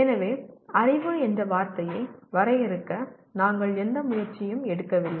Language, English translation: Tamil, So we did not make any attempt at all to try to define the word knowledge